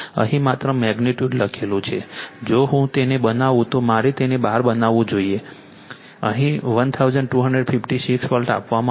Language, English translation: Gujarati, Only magnitude written here, this is actually if I make it, I should make it bar taken here 1256 volt right